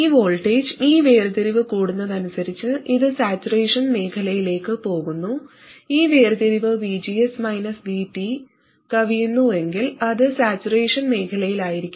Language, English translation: Malayalam, As this voltage, as this separation increases, it goes towards saturation region, and if the separation exceeds VGS minus VT, it will be in saturation region